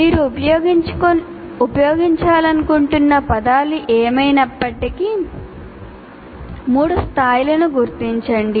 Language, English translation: Telugu, Whatever wording that you want to use, you identify 3 levels